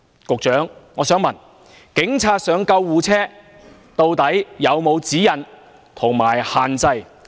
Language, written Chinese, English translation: Cantonese, 局長，我想問，關於警察登上救護車，究竟有沒有指引及限制？, I would like to ask Are there any guidelines and restrictions on police officers boarding ambulances?